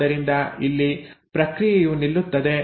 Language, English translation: Kannada, So here the process will stop